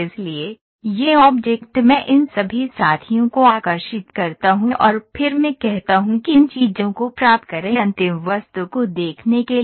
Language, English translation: Hindi, So, this object I draw all these fellows and then I say subtract these things you get to see the final object ok